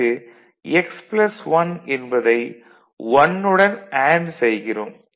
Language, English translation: Tamil, So, x plus 1 is equal to 1